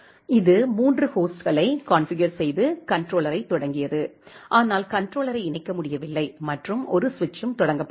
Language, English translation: Tamil, So, it has configured the three hosts, started the controller, but the controller it was not able to connect and one switch has been started